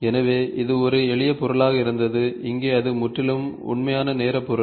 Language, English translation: Tamil, So, there it was a simple object so here it is a completely real time object